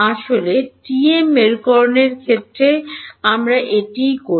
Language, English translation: Bengali, In fact, that is what we do in the case of the TM polarization